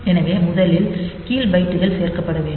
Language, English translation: Tamil, So, first the lower bytes are to be added